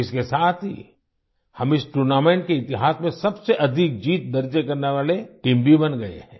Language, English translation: Hindi, With that, we have also become the team with the most wins in the history of this tournament